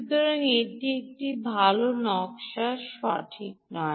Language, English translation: Bengali, so this is not a good design, right